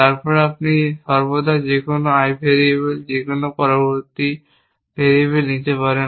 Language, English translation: Bengali, Then, you can always take any I variable, any next variable and extend find the consistent value for that